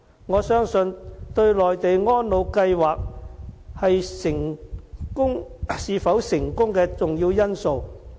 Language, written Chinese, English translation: Cantonese, 我相信是內地安老計劃是否成功的重要因素。, I believe it is vital to the success of the above schemes